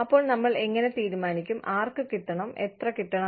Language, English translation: Malayalam, So, how do we decide, who should get, how much